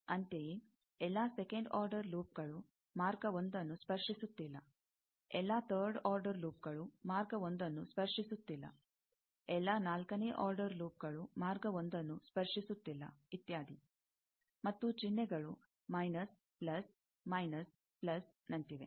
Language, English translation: Kannada, Similarly, all second order loops not touching path 1, all third order loops not touching path 1, all fourth order loops not touching path 1, etcetera, and the sign, you see, minus, plus, minus, plus, like that